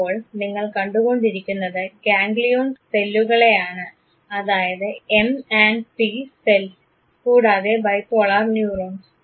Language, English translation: Malayalam, You are now looking at the ganglion cells that is M and P cells and the bipolar neurons